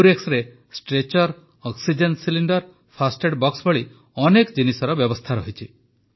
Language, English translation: Odia, An AmbuRx is equipped with a Stretcher, Oxygen Cylinder, First Aid Box and other things